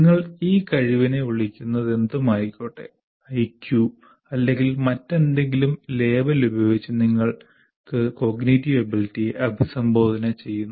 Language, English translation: Malayalam, After all, whatever you call IQ or whatever it is, whatever label that you want to give, the cognitive ability